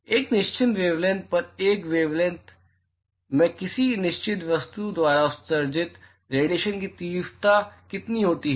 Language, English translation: Hindi, At a fixed wave length, what is the intensity of the radiation emitted by a certain object in that wave length